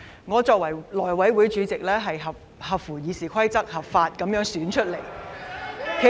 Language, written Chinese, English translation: Cantonese, 我作為內務委員會主席，是根據《議事規則》合法選出的。, I being the House Committee Chairman am legally elected in accordance with the Rules of Procedure RoP